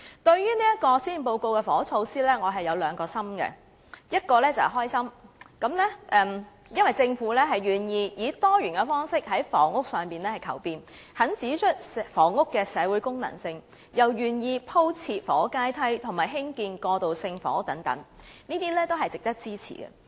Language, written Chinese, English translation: Cantonese, 對於這份施政報告的房屋措施，我有兩個心，一個是開心，因為政府願意以多元的方式在房屋上求變，指出房屋的社會功能，亦願意鋪設房屋階梯和興建過渡性房屋等，這些均是值得支持的。, Regarding the housing measures in this Policy Address I have two feelings . One is happiness because the Government is willing to make changes in housing in diversified ways . It pinpoints the social functions of housing and agrees to lay the housing ladder construct transitional housing etc